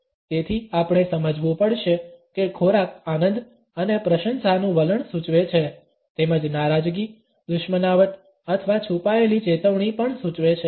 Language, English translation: Gujarati, Therefore, we have to understand that food suggest an attitude of pleasure and appreciation, as well as displeasure, animosity or even a hidden warning